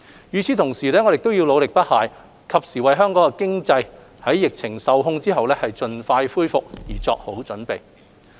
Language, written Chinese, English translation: Cantonese, 與此同時，我們要努力不懈，及時為香港經濟在疫情受控後盡快恢復作好準備。, At the same time we will work tirelessly and in a timely manner to pave the way for economic recovery as soon as the pandemic situation stabilizes